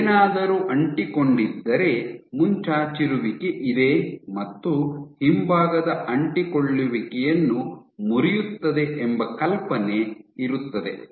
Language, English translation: Kannada, The idea being if something is adherent you are protruding your and then you are breaking your rear adhesions